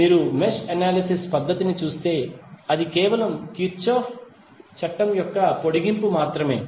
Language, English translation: Telugu, It is if you see the mesh analysis technique it is merely an extension of Kirchhoff's law